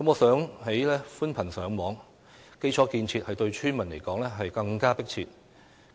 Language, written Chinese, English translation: Cantonese, 相較於寬頻上網，基礎建設對村民來說有更為迫切的需求。, From the villagers point of view the demand for infrastructure facilities is more pressing than that for broadband Internet access